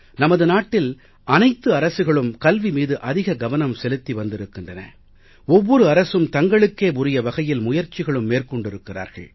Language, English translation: Tamil, Every Government in our country has laid stress on education and every Government has made efforts for it in its own way